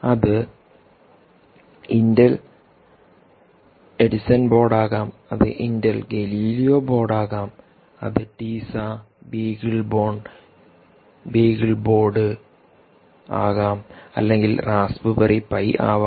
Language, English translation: Malayalam, it could be intel edison board, it could be intel galileo board, it could be teiza times, beagleboard, beaglebone, or it could be raspberry pi